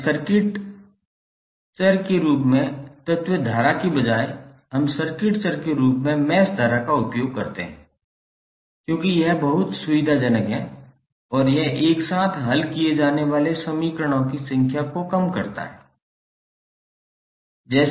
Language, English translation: Hindi, Now, here instead of element current as circuit variable, we use mesh current as a circuit variable because it is very convenient and it reduces the number of equations that must be solved simultaneously